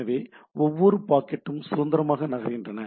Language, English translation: Tamil, So, each packet moves independently